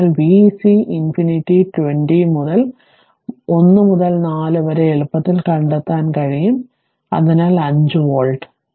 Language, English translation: Malayalam, So, you can find out easily v c infinity 20 into 1 by 4, so 5 volt right